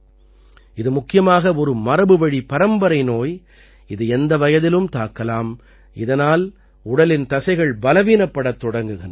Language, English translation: Tamil, It is mainly a genetic disease that can occur at any age, in which the muscles of the body begin to weaken